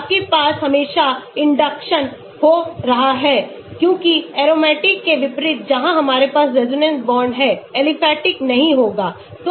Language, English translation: Hindi, you will always have induction happening here because unlike the aromatic where we have the resonance bonds aliphatic will not have